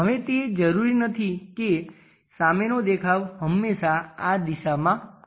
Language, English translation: Gujarati, Now it is not necessary that front view always be in this direction